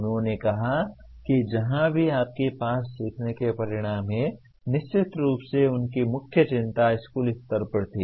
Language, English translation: Hindi, He said wherever you have learning outcomes, of course their main concern was at the school level